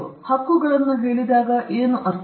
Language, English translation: Kannada, What do we mean when we say rights